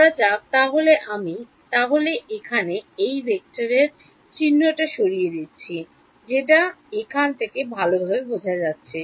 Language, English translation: Bengali, Supposing so, I am going to remove the vector sign it is understood from now by now